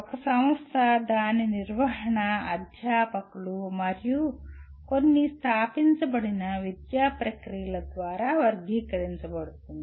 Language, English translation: Telugu, An institution is characterized by its management, faculty, and some established academic processes